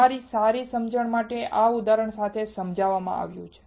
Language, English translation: Gujarati, This is explained with an example for your better understanding